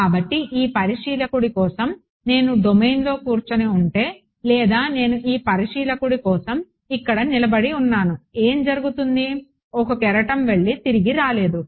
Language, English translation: Telugu, So, it is like right if I was sitting inside the domain supposing I was standing here for this observer what happened a wave went off never came back